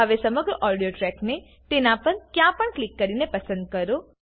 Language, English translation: Gujarati, Now select the whole audio track by clicking anywhere on it